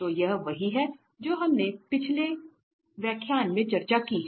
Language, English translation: Hindi, So, this is what we have already discussed in the previous lecture